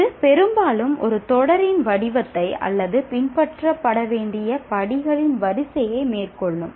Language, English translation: Tamil, It often takes the form of a series of series or a sequence of steps to be followed